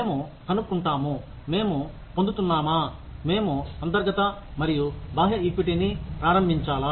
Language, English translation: Telugu, We find out, whether, we are getting, whether, we want to establish, internal and external equity